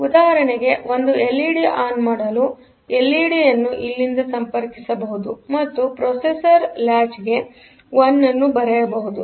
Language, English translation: Kannada, For example, for turning on one LED, the LED may be connected from here and the processor may write a one here